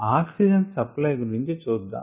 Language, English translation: Telugu, now let us look at details of oxygen supply